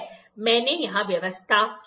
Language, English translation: Hindi, I have made a set up here